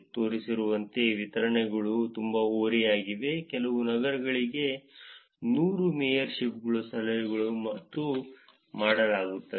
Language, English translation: Kannada, As shown the distributions are also very skewed, with a few cities having as many as 100 mayorship tips and dones